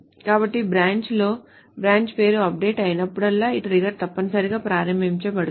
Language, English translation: Telugu, So whenever there is an update of branch name on branch, this trigger is essentially invoked